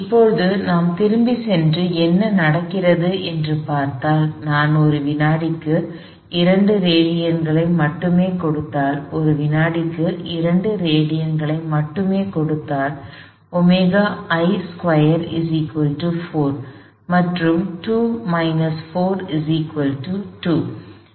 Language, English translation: Tamil, Now, if I go back and look at what happens, if I only give 2 radians per second, for only give 2 radians per second, then omega I squared is 4, 2 minus 4 is minus 2